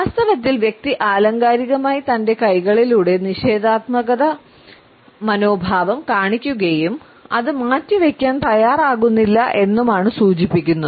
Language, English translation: Malayalam, In fact, the person is figuratively holding the negative attitude in his hands and his unwilling to leave it aside